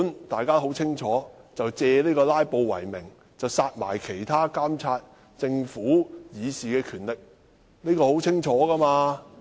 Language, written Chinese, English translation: Cantonese, 大家都很清楚，這是借阻止"拉布"為名，剝奪我們監察政府的權力為實。, We all know that his purpose is to deprive us of the power to monitor the Government in the name of curbing filibusters